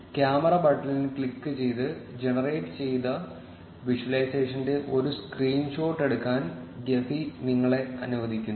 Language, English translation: Malayalam, Gephi also lets you take a screen shot of the generated visualization by clicking on the camera button